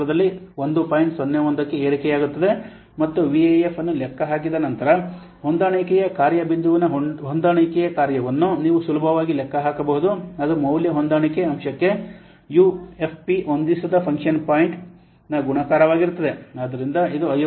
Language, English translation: Kannada, 01 and once the VF is calculated you can easily calculate the adjusted function of the adjusted function point will be equal to multiplication of ufp unadjusted function point into the value adjustment factor so this is coming to be 55